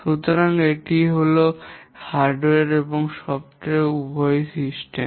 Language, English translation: Bengali, So this is the system which is both hardware and software